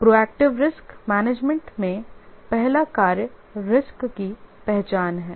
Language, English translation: Hindi, In the proactive risk management, the first task is risk identification